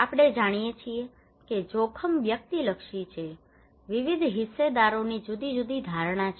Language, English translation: Gujarati, that we know that risk is subjective, different stakeholders have different perceptions